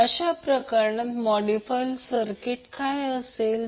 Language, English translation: Marathi, So in that case what will be the modified circuit